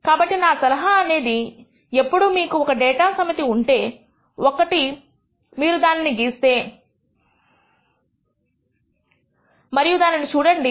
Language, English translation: Telugu, So, my suggestion is always when you have a data set, if you can plot and visualize it please do